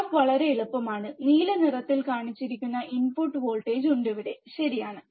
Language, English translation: Malayalam, Graph is very easy there is a input voltage shown in blue colour here, right